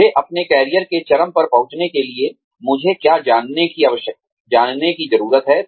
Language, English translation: Hindi, What do I need to know, in order to reach, where I want to be, at the peak of my career